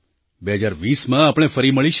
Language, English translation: Gujarati, We will meet again in 2020